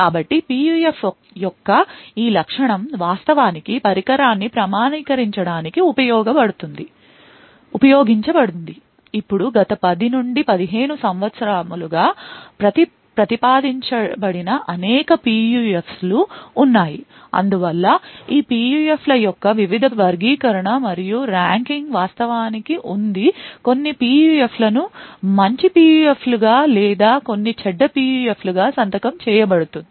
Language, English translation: Telugu, So, this feature of PUF is what is actually used to authenticate a device, now there have been several PUFS which have been proposed over the last 10 to 15 years or So, and therefore there has been various classification and ranking of these PUFs to actually sign some PUFs as good PUFs or some as bad PUFs and so on